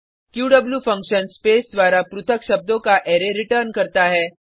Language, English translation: Hindi, qw function returns an Array of words, separated by space